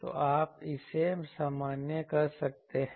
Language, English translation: Hindi, So, you can put this normalize